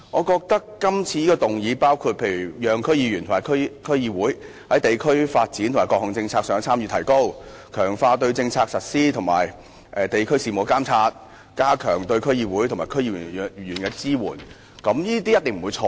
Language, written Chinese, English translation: Cantonese, 今次議案的內容包括讓區議員和區議會在地區發展和各項政策上的參與提高、強化對政策實施及地區事務的監察，以及加強對區議會和區議員的支援，我認為這些一定不會錯。, This motion has made proposals which include allowing members of District Councils DCs and DCs to have greater participation in district development and various policies strengthening the supervision of DCs over policy implementation and district affairs and enhancing the support to DCs and DC members . I think these proposals certainly cannot be wrong